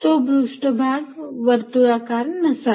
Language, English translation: Marathi, that's surface need not be spherical